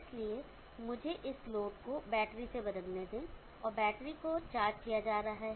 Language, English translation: Hindi, So let me replace this load by a battery, and the battery is being charged